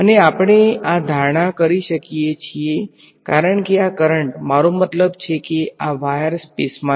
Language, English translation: Gujarati, And, and we can make this assumption because this this current I mean this wire is lying in free space